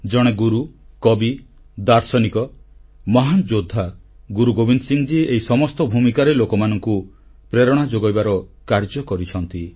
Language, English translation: Odia, A guru, a poet, a philosopher, a great warrior, Guru Gobind Singh ji, in all these roles, performed the great task of inspiring people